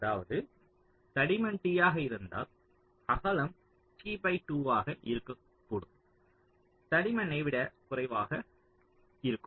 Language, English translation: Tamil, that means if thickness is t, then width can be t by two, so even less than the thickness